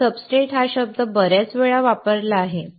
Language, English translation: Marathi, I have used this word "substrate" many times